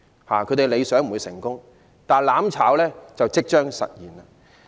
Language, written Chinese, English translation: Cantonese, 他們的理想不會成功，但"攬炒"就即將實現。, While their goal will never be achieved mutual destruction will soon materialize